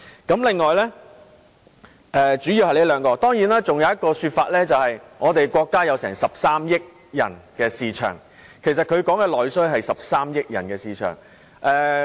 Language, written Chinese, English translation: Cantonese, 這兩項是主要原因，而當然還有另一種說法，就是我們國家擁有13億人的市場，所以內需代表的是13億人的市場。, Of course there was yet another consideration . Our country had a market of 1.3 billion people . Our domestic demand represented a market of 1.3 billion people